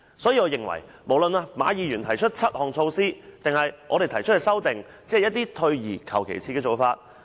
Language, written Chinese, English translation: Cantonese, 所以，我認為無論是馬議員提出的7項措施，或我們提出的修正案，也只是退而求其次的做法。, I thus hold that both the seven measures proposed by Mr MA and those we proposed in the amendments are only the next best approach